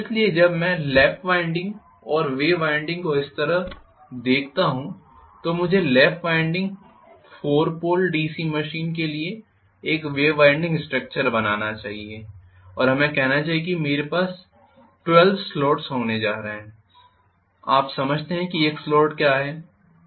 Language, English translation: Hindi, So when I look at lap winding and wave winding like this let me draw one winding structure for a 4 pole DC machine lap wound and let us say I am going to have 12 slots you understand what is a slot